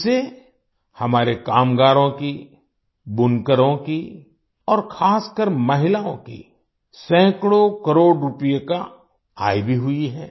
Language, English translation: Hindi, Through that, our workers, weavers, and especially women have also earned hundreds of crores of rupees